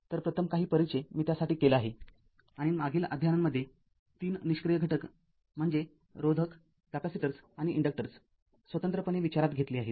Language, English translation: Marathi, So, first ah some introduction I have made it for you that in the previous chapters we have considered 3 passive elements resistors capacitors and inductors individually